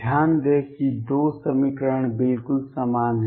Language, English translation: Hindi, Notice that the 2 equations are exactly the same